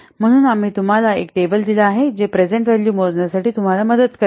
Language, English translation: Marathi, So, we have given you a table which will help you for computing the present values